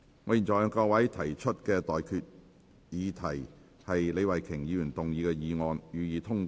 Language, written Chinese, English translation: Cantonese, 我現在向各位提出的待決議題是：李慧琼議員動議的議案，予以通過。, I now put the question to you and that is That the motion moved by Ms Starry LEE be passed